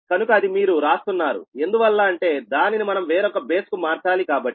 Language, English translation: Telugu, so you are writing a because we have to convert into the other base